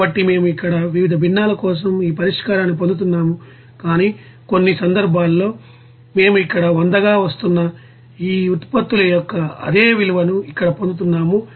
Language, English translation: Telugu, So here we are getting this solution for different fractions there, but for all cases we are getting that here same value of these products which is coming as 100 here